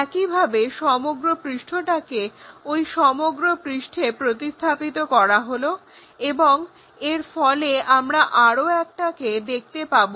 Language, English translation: Bengali, Similarly, this the entire surface maps to this entire surface and we will see another one